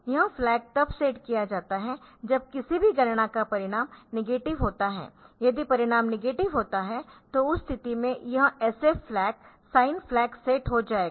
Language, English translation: Hindi, So, this flag is said when the result of any computation is negative, the result is negative in that case this SF flag will be the sign flag will be set then we have got TF flag